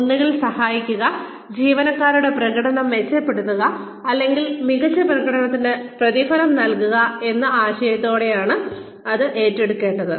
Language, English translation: Malayalam, it should be taken on, with the idea of either helping, improve employee's performance, or rewarding them for excellent performance